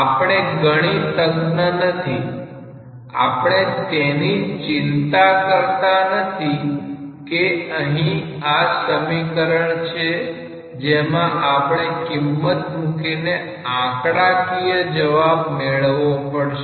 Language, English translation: Gujarati, After all, we are not mathematicians; we are not just bothered about that here there is a equation where we can plug in values to get a numerical answer